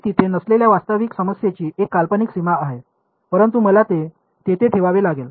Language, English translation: Marathi, It is a hypothetical boundary in the actual problem it is not there, but I had to put it there